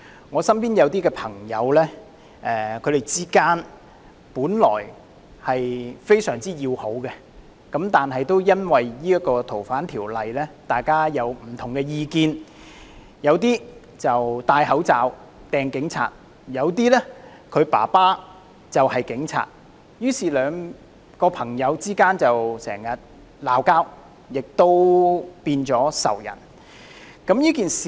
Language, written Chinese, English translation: Cantonese, 我身邊有朋友本來大家的關係非常要好，但也因為《逃犯條例》的修訂而有不同意見，有些戴上口罩向警察投擲物件，有些的父親是警察，於是朋友之間經常爭吵，變成仇人。, There are friends of mine who saw their once amicable relationships sour to one of animosity due to constant arguments over the amendment of the Fugitive Offenders Ordinance FOO prompted by their disparate views on the issue which led some to don face masks and hurl objects at police officers to the indignation of others whose fathers are police officers